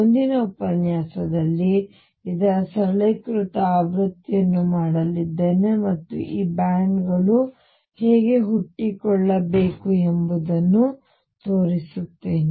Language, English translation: Kannada, In the next lecture I am going to do a simplified version of this and show how these bands should necessarily arise